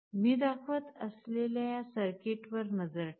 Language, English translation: Marathi, Here you look at this circuit that I am showing